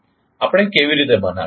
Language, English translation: Gujarati, How we will construct